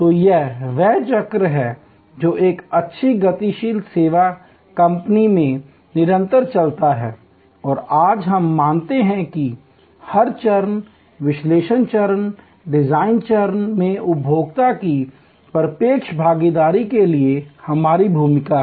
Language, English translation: Hindi, So, this is the cycle that continuous in a good dynamic service company and today, we recognize that we have a role for direct involvement of the consumer at every stage, the analysis stage, design stage